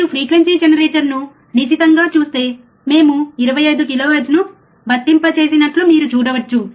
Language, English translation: Telugu, If you closely see as a frequency generator, you can see that we have applied 25 kilohertz, right